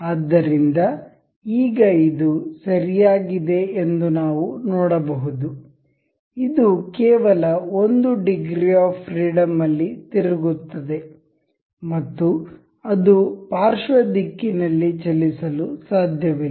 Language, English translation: Kannada, So, now we can see this is nice and good, rotating only in one degree of freedom, and it cannot move in lateral direction